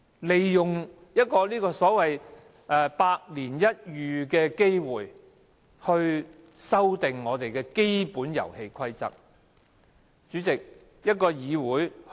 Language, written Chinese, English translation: Cantonese, 利用一個"百年一遇的機會"去修改我們的基本遊戲規則，是否太過急功近利？, Is it not too opportunistic and vile for you to seize on this once - in - a - century opportunity and amend the basic rules of the game?